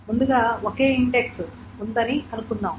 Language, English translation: Telugu, First of all, suppose there is a single index